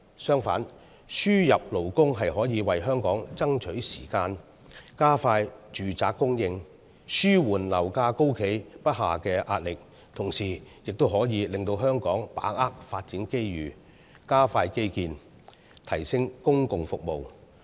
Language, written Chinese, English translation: Cantonese, 相反，輸入勞工可以為香港爭取時間，加快住宅供應，紓緩樓價高企不下的壓力，同時亦可令香港把握發展機遇，加快基建，提升公共服務。, On the contrary the importation of labour can afford Hong Kong more time to expedite housing supply thus alleviating the pressure from the persistently high property prices and enable Hong Kong to seize development opportunities speed up infrastructure construction and upgrade public services